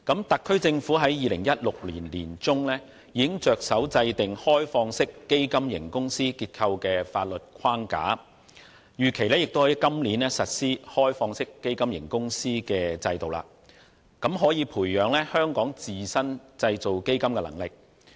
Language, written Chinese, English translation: Cantonese, 特區政府在2016年年中已着手制訂開放式基金型公司結構的法律框架，並預期在今年實施開放式基金型公司的制度，俾能培養香港自身製造基金的能力。, The SAR Government embarked on setting up the legal framework for the open - ended fund company OFC structure in mid - 2016 . The OFC regime is expected to be put in place this year with a view to building up Hong Kongs own fund manufacturing capabilities